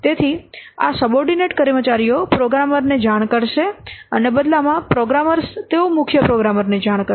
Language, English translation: Gujarati, So, these subordinate staffs will report to the programmer and in turn the programmers they will report to the chief programmer